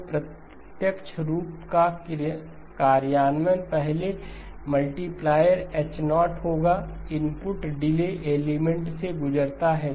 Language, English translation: Hindi, So the implementation of the direct form would be first multiplier is H0, input goes through a delay element